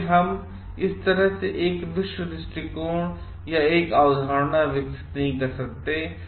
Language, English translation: Hindi, So, we may not develop a world view or a concept at the like this